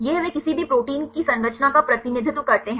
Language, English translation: Hindi, This is how they represent the structure of any protein